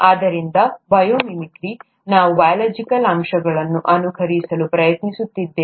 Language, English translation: Kannada, So bio mimicry, we are trying to mimic biological aspects